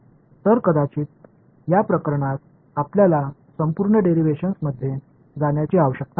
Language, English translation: Marathi, So, in this case maybe we do not need to go through the entire derivation